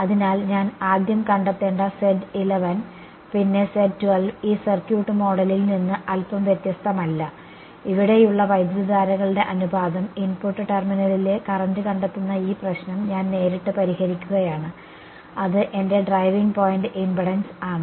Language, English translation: Malayalam, So, I do not it slightly different from this circuit model where I need to first find out Z 1 1 then Z 1 2 and the ratio of currents here, I am directly solving this problem finding out the current at the input terminal that is my driving point impedance right